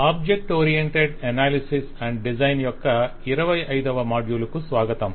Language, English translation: Telugu, Welcome to module 25 of object oriented analysis and design